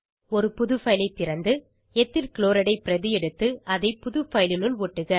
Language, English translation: Tamil, Open a new file, copy Ethyl Chloride and paste it into new file